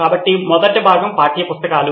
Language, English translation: Telugu, So the first component would be textbooks